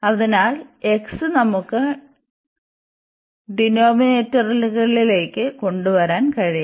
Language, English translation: Malayalam, So, this x we can bring to the denominators